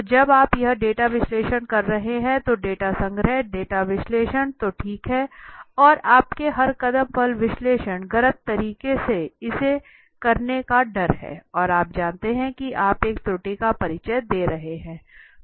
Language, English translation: Hindi, So when you are doing this data analysis, so data collection, data analysis so all right and analysis at each step you are, there is a fear of conducting a wrong you know way or doing it in a wrong way, and you know you are introducing an error